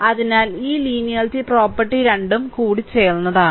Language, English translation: Malayalam, So, this linearity property is a combination of both